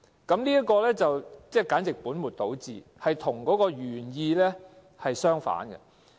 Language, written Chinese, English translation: Cantonese, 這項措施簡直是本末倒置，跟原意相反。, The arrangement just misses the point and violates the original intent